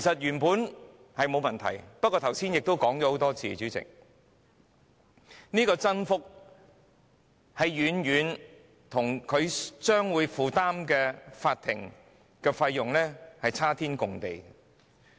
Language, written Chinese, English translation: Cantonese, 原本並無問題，但剛才已多次提及，主席，增幅與市民所負擔的法律費用有龐大差距。, With regard to increasing FEL originally it is not an issue . However this has been mentioned a number of times . President there is a substantial difference between the rate of increase and the legal costs borne by the public